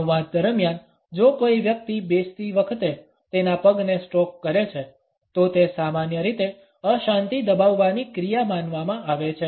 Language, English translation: Gujarati, During the dialogue if a person is a stroking his leg while sitting, it normally is considered to be a pacifying action